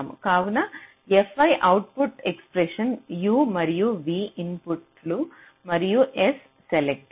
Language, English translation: Telugu, i the output expression, u and v are the inputs and s is the select